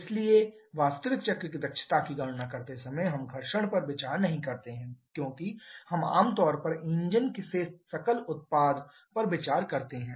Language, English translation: Hindi, So, while calculating the efficiency of the actual cycle we do not consider friction because that they are we generally consider the gross output from the engine